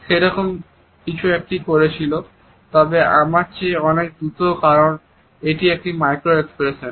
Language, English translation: Bengali, He does something like that, but he does it much more quickly than I am doing because it is a micro expression